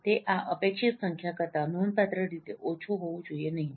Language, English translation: Gujarati, It should not be significantly less than this expected number